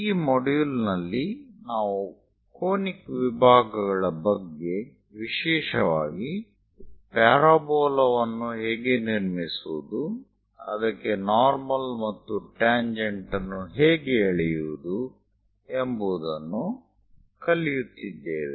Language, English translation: Kannada, In this module, we are learning about Conic Sections; especially how to construct parabola, how to draw a normal and tangent to it